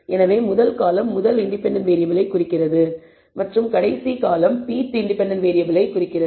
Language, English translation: Tamil, So, first column represents the first independent variable and the last column represents the pth independent variable